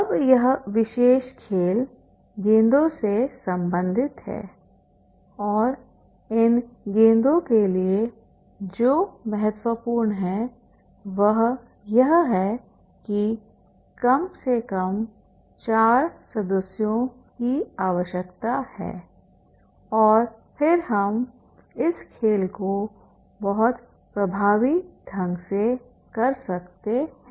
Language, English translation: Hindi, Now, this particular game is related to the balls and for these balls what is important is that is the at least four members are required and then we can have this game very effectively